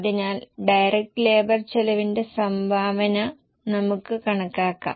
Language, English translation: Malayalam, So, let us calculate the contribution per direct labor cost